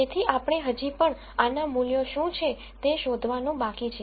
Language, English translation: Gujarati, So, we still have to figure out what are the values for this